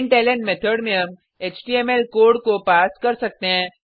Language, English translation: Hindi, In the println method we can pass html code